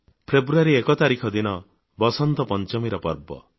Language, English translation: Odia, 1st February is the festival of Vasant Panchami